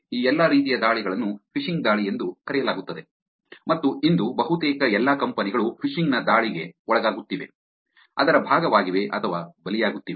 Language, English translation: Kannada, All of these kinds of categories of attacks are called phishing attacks and almost all companies today probably are undergoing, are part of, or being victims of this attack of phishing